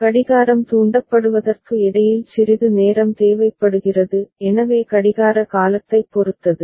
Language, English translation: Tamil, So, some amount of time is required in between for the clock getting triggered so depends on the clock period ok